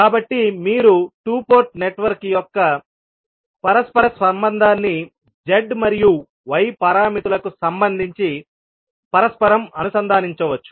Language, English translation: Telugu, So, you can correlate the reciprocity of the two port network with respect to Z as well as y parameters